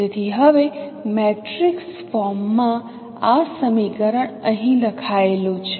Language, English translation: Gujarati, So now this equation in the matrix form is written here